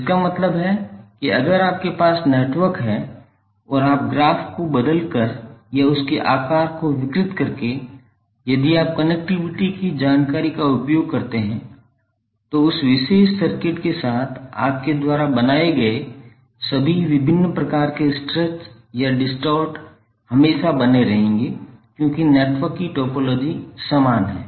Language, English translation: Hindi, That means that if you have the network and you change the orientation of the graph by stretching twisting or distorting its size if you keep the connectivity information intake all the different types of stretches or distort you have created with that particular circuit will always remain same because the topology of the network is same